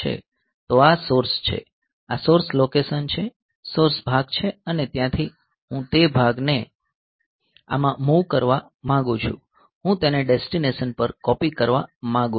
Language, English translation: Gujarati, So, this is the source this is the source location a source chunk and from there I want to move that chunk to this I want to copy it to the destination fine